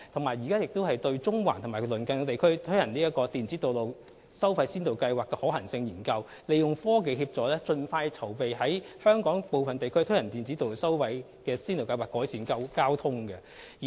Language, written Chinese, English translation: Cantonese, 此外，政府正對中環及其鄰近地區推行電子道路收費先導計劃進行可行性研究，利用科技協助盡快籌備在香港部分地區推行先導計劃，以紓緩交通問題。, Furthermore the Government is conducting a feasibility study on the implementation of the Electronic Road Pricing Pilot Scheme in Central and adjoining areas by capitalizing on technology to help make preparations for the implementation of the Pilot Scheme in certain areas in Hong Kong with a view to ameliorating traffic problems